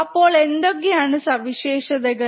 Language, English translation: Malayalam, So, what are the characteristics